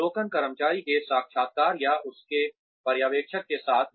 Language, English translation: Hindi, Observations, interviews with the employee, of his or her supervisor